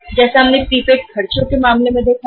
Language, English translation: Hindi, As we have seen in case of the prepaid expenses